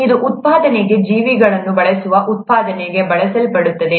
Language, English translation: Kannada, It is something that is used for production that uses organisms for production